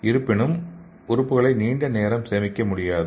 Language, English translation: Tamil, So but the organs cannot be stored for long